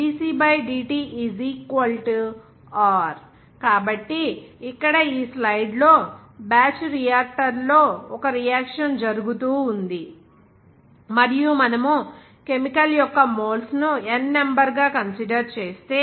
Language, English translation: Telugu, dc/dt = r So, here in this slide, its shown that in a batch reactor, there is a reaction is going on, and if you are considering that N the number of moles of a chemical